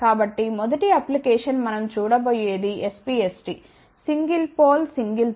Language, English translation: Telugu, So, first application we are going to look at which is S P S T; Single Pole, Single Throw